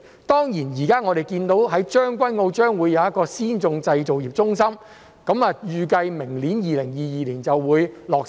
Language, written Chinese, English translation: Cantonese, 當然，現時看到將軍澳將會有一個先進製造業中心，預計明年落成。, Of course we note that the Advanced Manufacturing Centre in Tseung Kwan O is expected to be completed next year ie